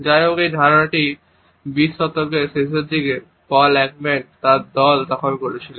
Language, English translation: Bengali, However, this idea was taken up in the late 20th century by Paul Ekman and his team